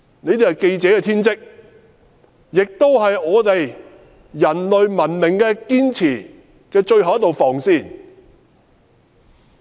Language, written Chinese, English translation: Cantonese, 這是記者的天職，也是我們守護人類文明的最後一道防線。, This is the vocation of journalists and the last line of defence of human civilization